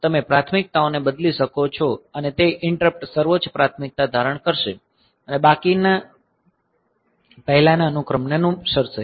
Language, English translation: Gujarati, So, you can change the priorities and so, that interrupt will assume the highest priority and rest of them will follow the previous order